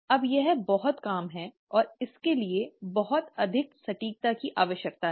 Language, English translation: Hindi, Now that is a lot of job and it requires a lot of precision